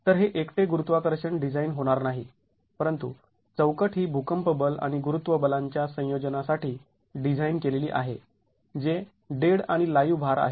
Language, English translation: Marathi, So, it's not going to be gravity design alone, but the framework is designed for a combination of earthquake force and gravity and gravity forces which is dead plus live load